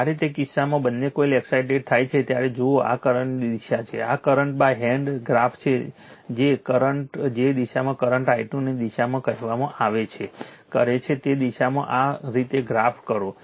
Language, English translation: Gujarati, When the both the coils are excited right in that case look this is the direction of the current this is the current right by right hand you graph the conductor in the direction of your what you call in the direction of the current i 2 in here right you graph it like this